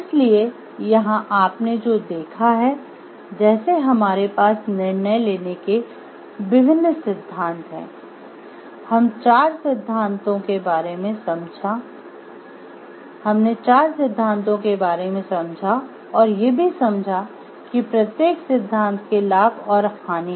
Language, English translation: Hindi, So, here what you have seen like we have different theories of decision making, we have gone through the 4 theories we have understood like what are the pros and cons of the each of the theories